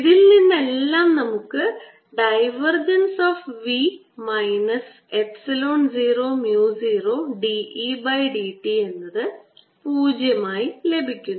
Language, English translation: Malayalam, so what we have from these equations is divergence of v minus epsilon zero, mu zero d e d t is equal to zero